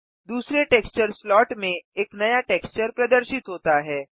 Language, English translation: Hindi, A new texture has appeared in the second texture slot